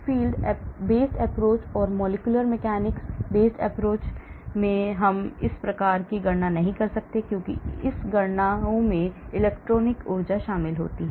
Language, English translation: Hindi, whereas in the force filed based approach or molecular mechanics based approach we cannot do these type of calculations because these calculations involve electronic energy